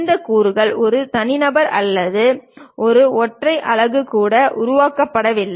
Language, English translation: Tamil, And these components were also not made by one single person or one single unit